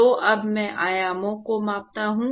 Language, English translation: Hindi, So now, I scale the dimensions